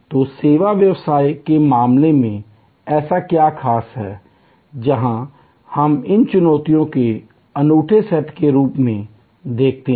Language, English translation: Hindi, So, what is so special in case of service business, where we see this as a unique set of challenges